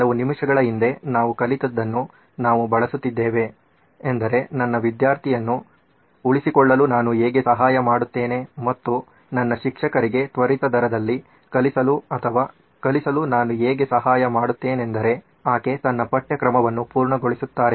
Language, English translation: Kannada, We are using what we just learnt a few minutes ago is how do I help my student retain and how do I help my teacher teach at a fast rate or teach so that she covers her syllabus